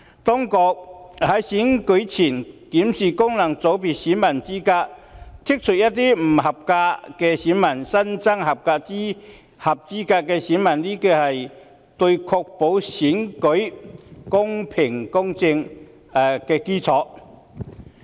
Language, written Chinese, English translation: Cantonese, 當局在選舉前檢視功能界別選民資格，刪除一些不合資格的選民，新增合資格的選民，可確保選舉公平公正。, The authorities review of the eligibility of electors in respect of FCs as well as the removal of some ineligible electors and the addition of eligible electors prior to the elections can ensure that the elections will be conducted in a fair and just manner